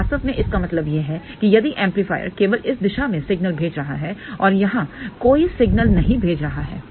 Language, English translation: Hindi, So, what it really means is that if amplifier is only I am sending signal in this direction and not sending any signal over here